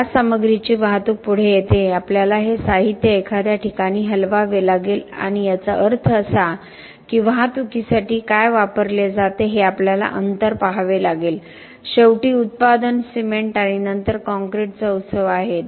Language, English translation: Marathi, The transportation of this materials comes next we have to move this material to some place and that means that we have to look at distances what is used for the transportation finally there is the manufacturing, fest of cement and then of concrete